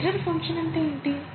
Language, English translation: Telugu, What is an error function